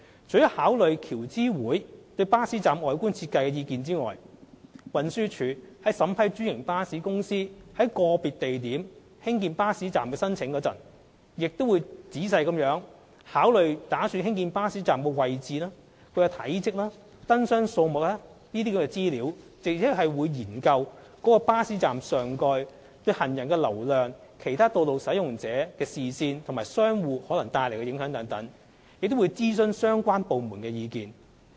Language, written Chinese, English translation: Cantonese, 除考慮橋諮會對巴士站外觀設計的意見外，運輸署在審批專營巴士公司在個別地點興建巴士站的申請時，亦會仔細考慮擬建巴士站的位置、體積及燈箱數目等資料，並研究該巴士站上蓋對行人流量、其他道路使用者的視線及商戶可能帶來的影響等，以及徵詢各相關部門的意見。, When vetting franchised bus companies applications for erecting bus stops at individual locations TD will take into account the Committees opinion on the appearances of the bus stops while carefully considering such information as the locations and sizes of the proposed bus stops and the numbers of light boxes at the proposed stops . In addition TD will examine the potential impact of the proposed bus shelters on pedestrian flow the sightline of other road users and the operation of nearby shops and will seek the views of relevant departments